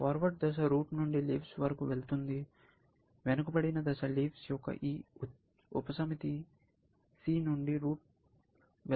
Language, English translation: Telugu, Forward face goes from the root to the leaves; the backward face goes from this set c, subset of the leaves, to the root